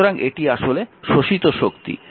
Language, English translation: Bengali, So, this power absorbed